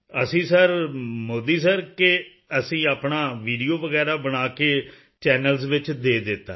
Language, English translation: Punjabi, We sir, Modi sir, we have shot our videos, and sent them to the TV channels